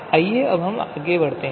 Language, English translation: Hindi, Let us move forward